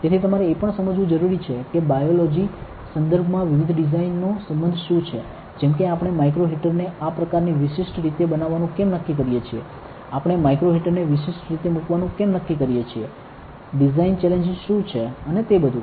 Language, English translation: Gujarati, So, you need to also understand that what is the relevance of several designs in the context of biology, like why do we decide to make micro heaters in such specific way, why do we decide to place micro heaters in specific way, what are the design challenges and all